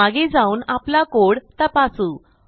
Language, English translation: Marathi, Lets go back and check the code